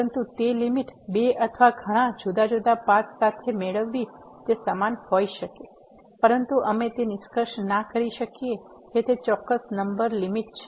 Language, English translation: Gujarati, But getting the limit along two or many different paths though that limit may be the same, but we cannot conclude that that particular number is the limit